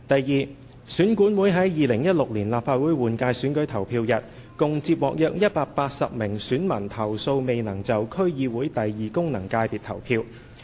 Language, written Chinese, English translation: Cantonese, 二選管會於2016年立法會換屆選舉投票日，共接獲約180名選民投訴未能就區議會功能界別投票。, 2 On the polling day of the 2016 Legislative Council general election EAC received complaints from a total of about 180 electors who claimed that they were unable to cast their votes in the District Council second functional constituency DC second FC